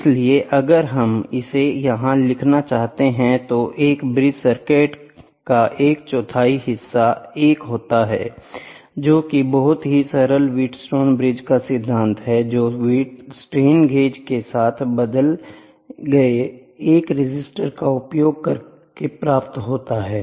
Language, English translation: Hindi, So, if we wanted to write it here a quarter of a bridge circuits is 1 which is very simple wheat stone bridges principle which uses 1 resistor replaced with the strain gauge, ok